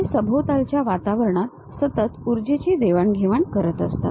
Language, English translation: Marathi, It is continuously exchanging energy with the surroundings